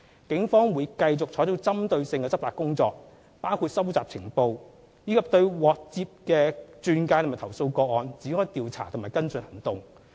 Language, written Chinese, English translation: Cantonese, 警方會繼續採取針對性執法行動，包括收集情報，以及對接獲的轉介和投訴個案展開調查和跟進行動。, The Police will continue to combat the offences through targeted operations including collecting intelligence investigating and following up on referral cases as well as complaint cases